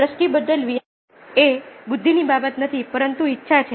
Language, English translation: Gujarati, so changing perception is not a matter of intelligence but willingness